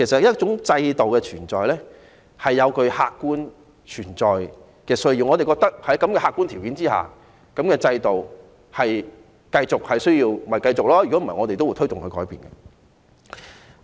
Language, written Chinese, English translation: Cantonese, 一種制度的存在有其客觀需要，我們覺得在客觀條件之下，制度需要繼續就會繼續，否則便會推動改變。, In fact the existence of a system depends on the objective needs . If we think that under the objective circumstances the system needs to persist then it will persist; otherwise we will advocate changes